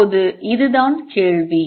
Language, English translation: Tamil, Now, this is the question